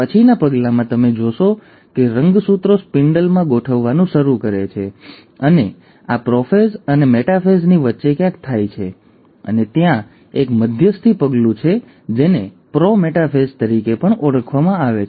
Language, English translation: Gujarati, At the next step, you find that the chromosomes start arranging in the spindle and this happens somewhere in between prophase and metaphase, and there is an intermediary step which is also called as the pro metaphase